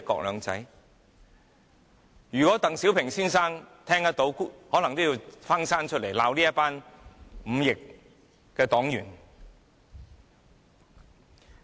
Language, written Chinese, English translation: Cantonese, 如果鄧小平聽到，可能也要翻生出來罵這些忤逆的黨員。, If DENG Xiaoping heard about this he would turn in his grave and scold these disobedient party members